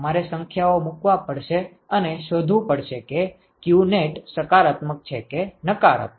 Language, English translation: Gujarati, You have to put the numbers and find out whether qnet is positive or negative